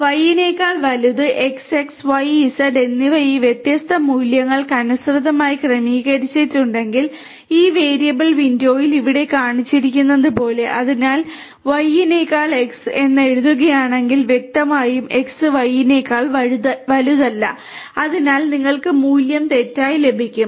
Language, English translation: Malayalam, So, X greater than Y, if X, Y and Z are configured to have these different values corresponding values as shown over here in this variable window so then if you write X greater than Y, obviously, X is not greater than Y, so you will get the value false